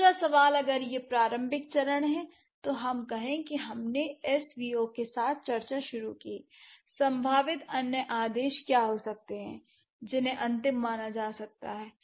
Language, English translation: Hindi, If this is the initial stage, let's say we started the discussion with SBO or language happened with SVO and what could be the possible order orders which can be considered as final ones